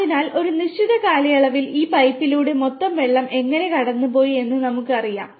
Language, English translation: Malayalam, So, over a period of time how total water has passed through this pipe will be known to us